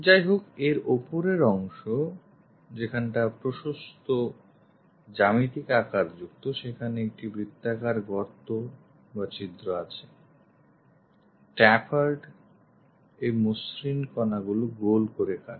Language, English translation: Bengali, However, the top portion having wider geometry, it has a circular hole, a tapered cut rounded into smooth corners